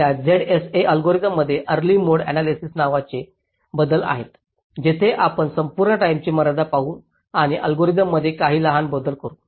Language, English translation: Marathi, ok, there is modification to these z s a algorithm called early mode analysis, where we will look at the whole time constraint and make some small modification to the algorithm